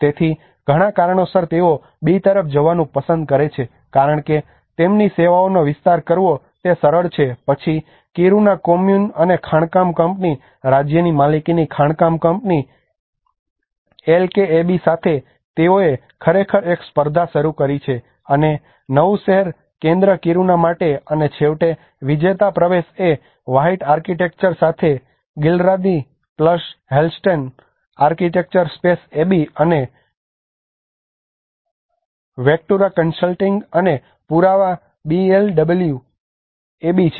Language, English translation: Gujarati, So a lot of reasons they prefer to go for the B because it is easy to expand the extend their services part of it then the Kiruna Kommun and the mining company the state owned mining company LKAB all together they have actually floated a competition and for the new city centre for Kiruna and finally the winning entry is the ‘white architecture’ with Ghillaradi + Hellsten architecture Space Space AB and Vectura consulting and evidence BLW AB